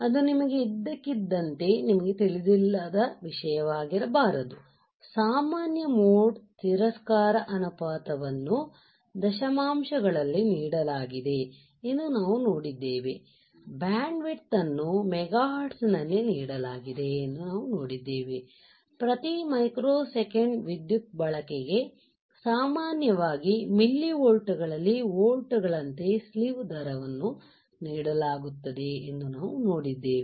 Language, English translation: Kannada, So, it should not come to you as suddenly you a something that you do not even know right, we have seen that common mode rejection ratio is given in decimals, we have seen that the bandwidth is given in the megahertz, we have seen that slew rate is generally given as volts per microsecond right power consumption is generally in millivolts